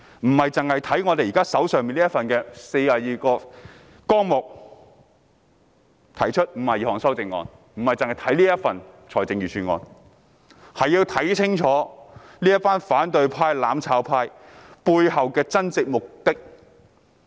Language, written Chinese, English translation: Cantonese, 我們要看的不僅是就這42個總目提出的52項修正案或這份預算案，更要看清楚這些反對派、"攬炒派"背後的真正目的。, We have to look at not only the 52 amendments proposed to the 42 heads or the Budget but also the real agenda behind those Members from the opposition camp or the mutual destruction camp